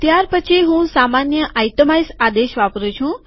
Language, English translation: Gujarati, Then I use the normal itemize command